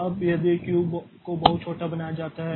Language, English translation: Hindi, Now, if Q is made very small, okay